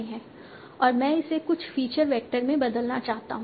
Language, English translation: Hindi, And I want to convert that to some feature vector